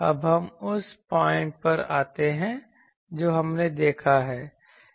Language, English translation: Hindi, Now, let us come to the point that we have seen